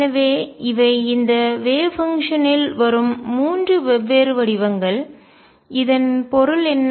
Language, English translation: Tamil, So, these are three different forms that this wave function comes in, and what does it mean